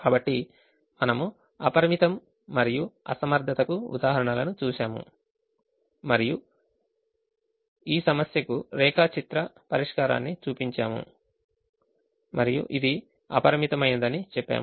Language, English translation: Telugu, so we looked at examples for unboundedness and infeasibility and we showed the graphical solution to this problem and we said that this is ah, unbounded